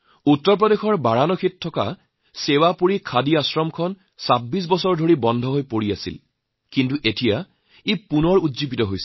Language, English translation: Assamese, Sewapuri Khadi Ashram at Varanasi in Uttar Pradesh was lying closed for 26 years but has got a fresh lease of life now